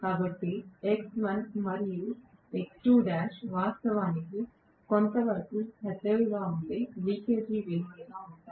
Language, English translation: Telugu, So, x1 and x2 dash actually are going to be leakage values which are somewhat large